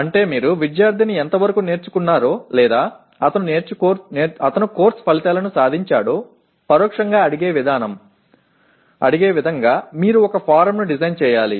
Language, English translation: Telugu, That means you have to design a form in such a way that you indirectly ask the student to what extent he has learnt or he has attained the course outcomes